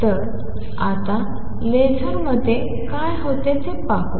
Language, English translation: Marathi, So, let us see now what happens in a laser